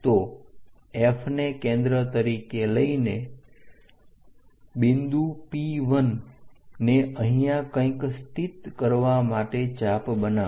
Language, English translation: Gujarati, So, make an arc from center this F to locate point P 1 somewhere here and somewhere here